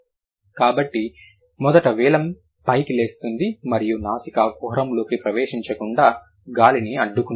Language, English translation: Telugu, So, first the vealum gets raised and then it blocks the, it blocks the air from entering the nasal cavity